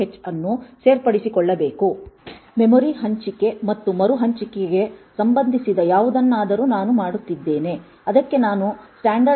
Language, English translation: Kannada, h am I doing something which is relating to say memory allocation and reallocation I must use standardlib